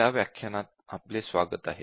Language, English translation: Marathi, Welcome to this session